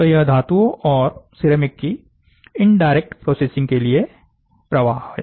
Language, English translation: Hindi, So, this is the flow for indirect processing of metals and ceramics